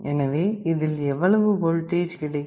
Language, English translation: Tamil, So, what will be the voltage here